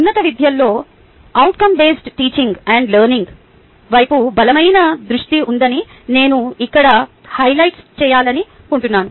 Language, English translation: Telugu, the important thing i want to highlight here that within higher education there is a strong focus towards outcome based teaching and learning